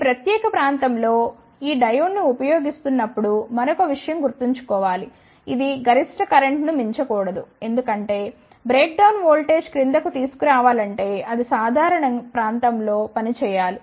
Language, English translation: Telugu, One more thing one should keep in mind while using this diode in this particular region that it should not exceed the maximum current because, if it is to be brought in below breakdown voltage, then it should be operated in the normal region